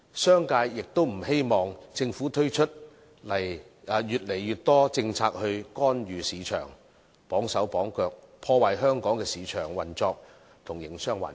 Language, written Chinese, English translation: Cantonese, 商界亦不希望政府推出越來越多政策來干預市場，綁手綁腳，破壞香港的市場運作和營商環境。, The business sector likewise does not wish to see the Government rolling out more and more policies to intervene in the market and putting in place unnecessary restraints to dampen Hong Kongs market operation and business environment